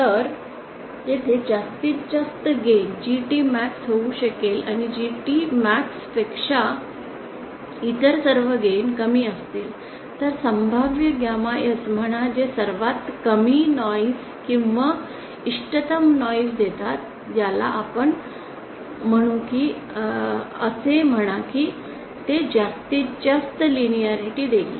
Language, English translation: Marathi, So there might be a maximum gain GT max and all other gain will be lesser than GT max other possible is that say a particular gamma S which gives lowest noise or optimum noise as we call it or say it might give the maximum linearity